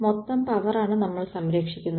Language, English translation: Malayalam, The total power what we conserve